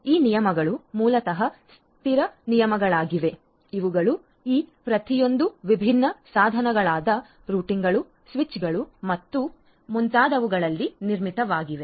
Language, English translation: Kannada, So, and these rules basically are fixed rules which are embedded in each of these different devices the routers, switches and so on